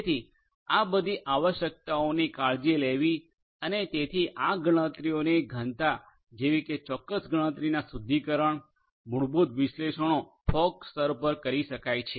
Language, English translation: Gujarati, So, taking care of all of these requirements and the density of doing certain computation filtration you know basic analytics and so on could be done at the fog layer